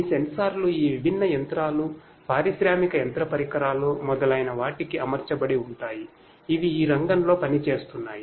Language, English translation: Telugu, These sensors fitted to this different machinery, industrial machinery devices etcetera which are working in the field and so on